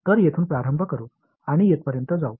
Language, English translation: Marathi, So, let us start from here and go all the way up to here